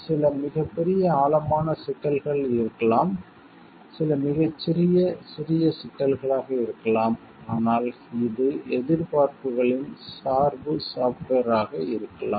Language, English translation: Tamil, Maybe some very big in depth issues, some may be very small minor issues, but this could be the range of expectations